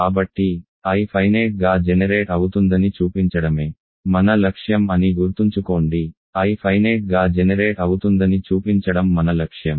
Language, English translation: Telugu, So, remember our goal is to show I is finitely generated, our goal is to show that I is finitely generated